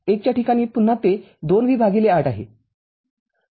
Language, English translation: Marathi, At 1 again it is 2 V by 8